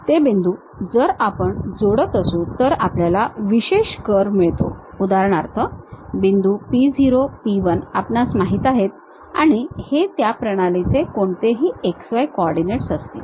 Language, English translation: Marathi, Those points, if we are joining if we are getting a specialized curve for example, the point p0, p 1 we know these are any x y coordinates of that system